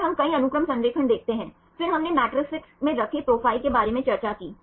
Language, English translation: Hindi, So, then we see the multiple sequence alignment, then we discussed about the profiles placed in the matrices right